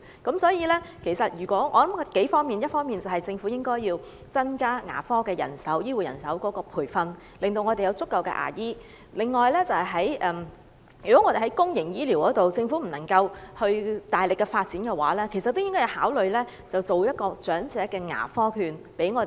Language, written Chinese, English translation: Cantonese, 我認為要多管齊下，一方面，政府應增加牙科醫護人手的培訓，讓我們有足夠的牙醫；另外，在公營醫療方面，如果政府不能夠大力發展的話，便應考慮向長者提供長者牙科券。, So I think the Government should make multi - pronged efforts . On the one hand it should increase the training places for dental care personnel so that there will be sufficient dentists; and on the other hand it should consider introducing elderly dental care vouchers if it is unable to vigorously develop dental services in the public health care sector